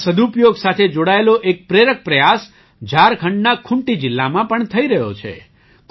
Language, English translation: Gujarati, An inspiring effort related to the efficient use of water is also being undertaken in Khunti district of Jharkhand